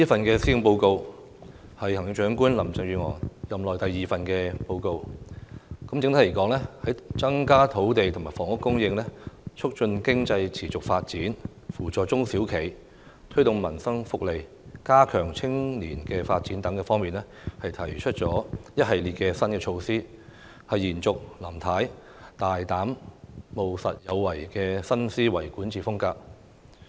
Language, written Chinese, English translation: Cantonese, 這是行政長官林鄭月娥任內第二份施政報告，整體而言，在增加土地和房屋供應、促進經濟持續發展、扶助中小型企業、推動民生福利，以及加強青年發展等方面，都提出了一系列新措施，延續林太大膽、務實、有為的新思維管治風格。, This is the second Policy Address of Chief Executive Carrie LAM . Overall the Policy Address carries on Mrs LAMs bold pragmatic and proactive new governance mindset in that it introduces a series of new measures to increase land and housing supply promote sustainable economic development assist small and medium enterprises enhance social welfare and strengthen youth development